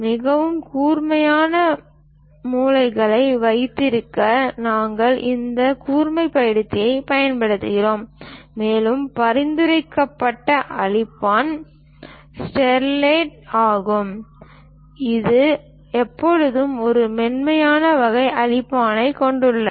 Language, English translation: Tamil, To have very sharp corners, we use this sharpener, and the recommended eraser is Staedtler, which always have this very smooth kind of erase